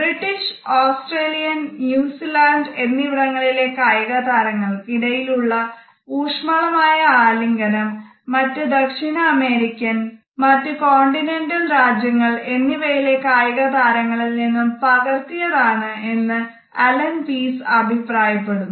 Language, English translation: Malayalam, Allen Pease has commented that intimate embracing by British Australian and New Zealand sports person has been copied from the sports persons of South American and continental countries